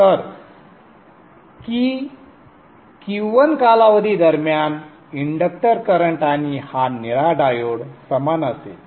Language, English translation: Marathi, So during the Q1 period, inductor current and this blue diode will be the same